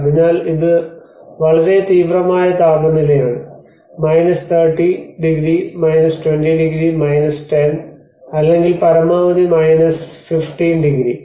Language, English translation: Malayalam, So it is very extreme kind of temperature either 30 degrees, 20 degrees, 10 or maximum the +15 degrees sort of thing